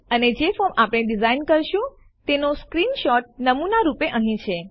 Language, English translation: Gujarati, And, here is a sample screenshot of the form we will design